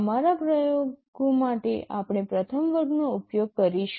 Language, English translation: Gujarati, In our experiments we shall be using the first category